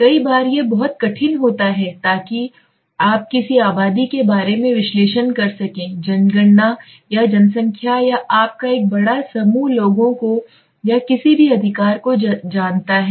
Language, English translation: Hindi, In times it is very tough to it is very difficult to you know analyze over a population that means census or population or a large set of you know people or anybody right